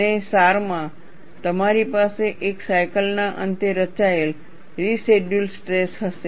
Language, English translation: Gujarati, And in a sense, you will have a residual stress form at the end of one cycle